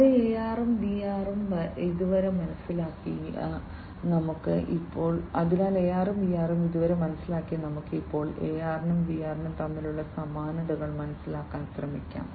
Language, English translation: Malayalam, So, let us now having understood AR and VR so far, let us now try to understand the similarities between AR and VR